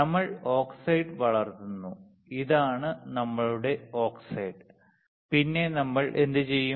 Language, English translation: Malayalam, We grow oxide, this is our oxide, then what we do